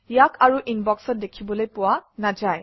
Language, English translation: Assamese, It is no longer displayed in the Inbox